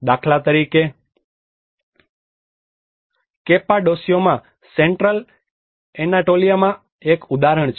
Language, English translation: Gujarati, For instance, in Cappadocia an example in the Central Anatolia